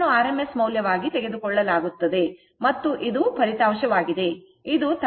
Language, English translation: Kannada, So, it is taken as rms value, and this this is resultant one, it is 13